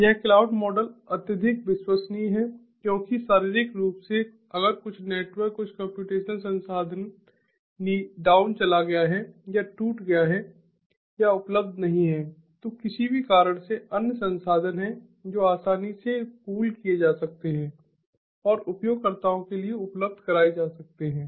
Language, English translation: Hindi, this cloud model is highly reliable because, physically, if some network, ah, some computational resource, has gone down or is broken or is not available for whatever reason, you know, there are other resources which can be easily pooled into and be made available to the users